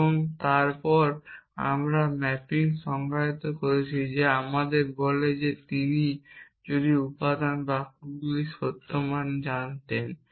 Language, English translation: Bengali, And then we have define the mapping which tells us that if he knew the truth values of the constituent sentences